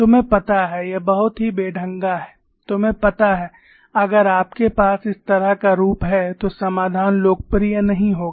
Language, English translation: Hindi, You know, this is very clumsy, you know, if you have this kind of a form the solution would not have become popular